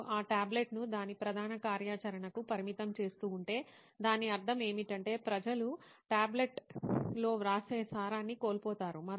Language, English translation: Telugu, If you keep on restricting that tablet to its core functionality what it is meant to be so people will actually lose out that essence of writing on the tablet